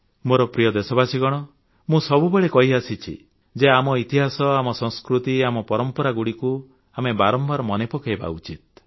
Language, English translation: Odia, My dear countrymen, I maintain time & again that we should keep re visiting the annals of our history, traditions and culture